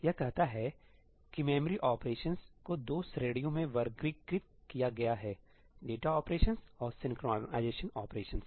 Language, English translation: Hindi, It says that the memory operations are classified into two categories: data operations and synchronization operations